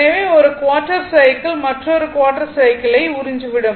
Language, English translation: Tamil, So, 1 1 quarter cycle, it will absorbed another quarter cycle, it will return